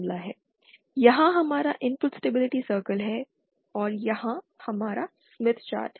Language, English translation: Hindi, Here is our input stability circle and here is our smith chart